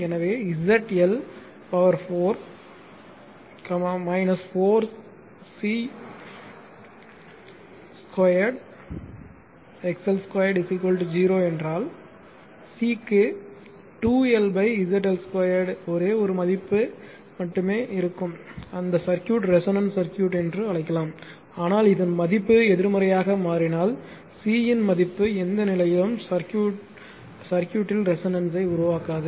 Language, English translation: Tamil, So, and if Z L to the power 4 minus 4 C square XL square is equal to 0 you will have only one value of c right 2L upon ZL Square at which circuit your what we call is resonance circuit right, but if this term becomes negative there is no value of C that circuit will become resonant